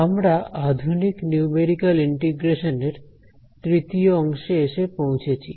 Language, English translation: Bengali, That bring us to the third section on advanced Numerical Integration